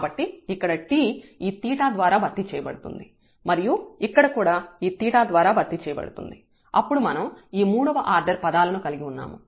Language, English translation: Telugu, So, here the t will be replaced by this theta, here also by theta and then we have this third order terms